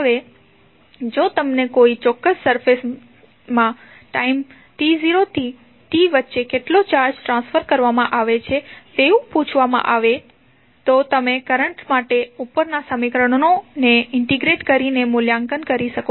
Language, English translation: Gujarati, Now, if you are asked to find how much charge is transferred between time t 0 to t in a particular surface, you can simply evaluate by integrating the above equation